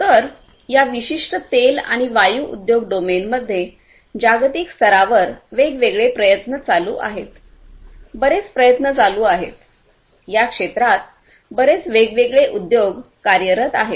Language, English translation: Marathi, So, there are different efforts globally that are going on in this particular industry domain oil and gas industry domain; lot of efforts are going on, lot of these different industries operating in these spheres